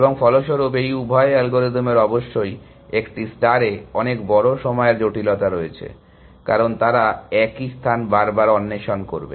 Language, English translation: Bengali, And consequently both this algorithms have a of course, much larger time complexity in A star, because they will explore the same space again and again many times essentially